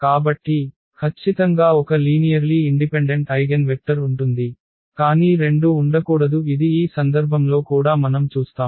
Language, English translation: Telugu, So, there will be definitely one linearly independent eigenvector, but there cannot be two this is what we will see in this case as well